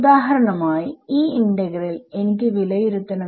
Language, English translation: Malayalam, How would you calculate this integral